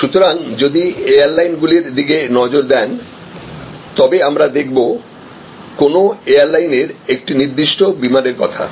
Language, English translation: Bengali, So, if you are looking at airlines we are looking at a particular flight of an airline